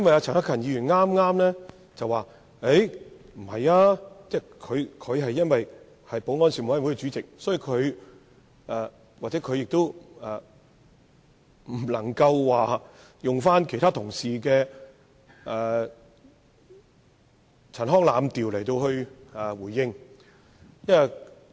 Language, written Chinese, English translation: Cantonese, 陳克勤議員剛才表示不認同議案，但由於他是保安事務委員會主席，所以不能引用其他同事的陳腔濫調作出回應。, Just now Mr CHAN Hak - kan said that he did not agree to the motion . However as the Chairman of the Panel on Security he of course cannot invoke ramblings and clichés similar to those of other colleagues in his response